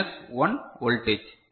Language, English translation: Tamil, 2 volt, minus 1